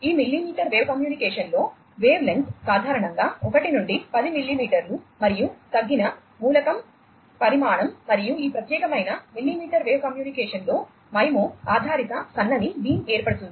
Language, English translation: Telugu, The wavelength is typically 1 to 10 millimetre in this millimetre wave communication, and there is a reduced element size, and MIMO based narrow beam formation in this particular millimetre wave communication